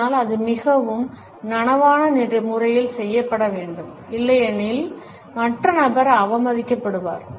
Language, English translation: Tamil, But, it has to be done in a very conscious manner; otherwise the other person may feel insulted